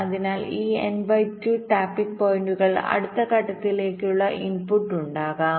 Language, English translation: Malayalam, so these n by two tapping points will form the input to the next step